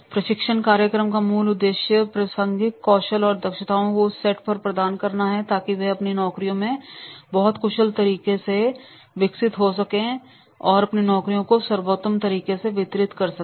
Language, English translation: Hindi, The basic purpose of the training program is to provide that sort of the relevant skills and competencies so that they can develop in a very, very efficient way their jobs and they can deliver in the best way of their jobs